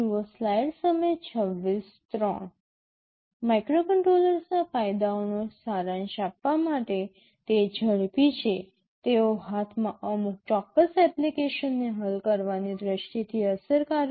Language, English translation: Gujarati, To summarize the advantages of microcontrollers, they are fast, they are effective from the point of view of solving some particular application at hand